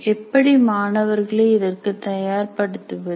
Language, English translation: Tamil, How to get these students prepare before the class